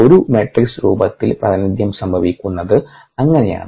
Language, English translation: Malayalam, thats the way the representation happens, in a matrix form